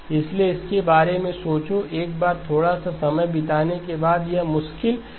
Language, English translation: Hindi, So think about it, it is not difficult once you spend a little bit of time